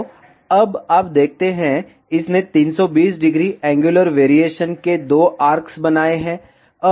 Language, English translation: Hindi, So, now you see, it has created two arcs of 320 degree angular variation